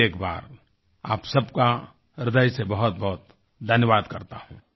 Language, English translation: Hindi, Once again, I thank all of you from the core of my heart